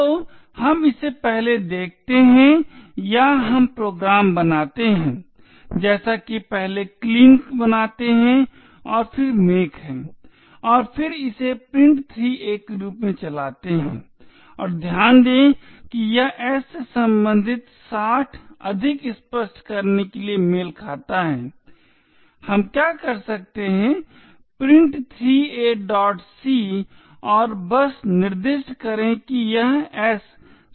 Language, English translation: Hindi, So let us see it running first or we make the program as before make clean and then make and then run it as print3a and note that this 60 corresponds to s to make it more clearer what we can do is print3a